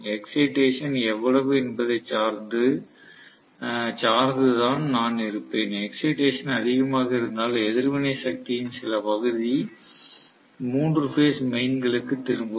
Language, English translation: Tamil, So, I will have depending upon how much is the excitation, the excitation is in excess some portion of the reactive power will be returned back to the main, three phase mains